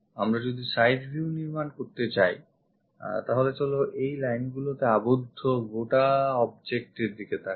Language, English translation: Bengali, Side view; if we are going to construct that let us see this entire object will be bounded by these lines